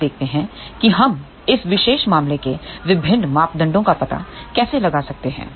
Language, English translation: Hindi, Now let us see how we can find out the various parameters for this particular case here